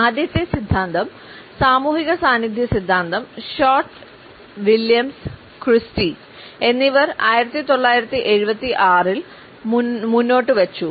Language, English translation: Malayalam, The first theory social presence theory was put forward by Short, Williams and Christy in 1976